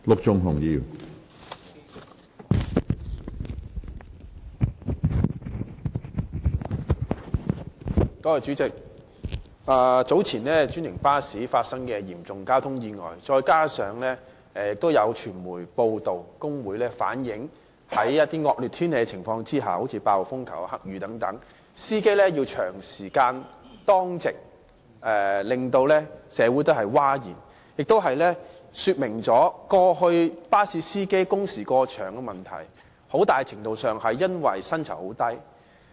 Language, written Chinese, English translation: Cantonese, 主席，早前專營巴士發生嚴重交通意外，再加上有傳媒報道，指工會反映司機在惡劣天氣之下，例如8號風球、黑雨等情況下要長時間當值，令社會譁然，這也說明過去巴士司機工時過長的問題，很大程度上是因為薪酬很低。, President the serious traffic accident involving a franchised bus that happened some time ago coupled with media reports about the staff unions reflecting that drivers have to work long shifts even in inclement weather such as when a Typhoon Signal No . 8 or a Black Rainstorm Warning Signal is issued has aroused a public outcry . This also shows that the long - standing problem of unduly long working hours of bus drivers is to a large extent due to their very low salaries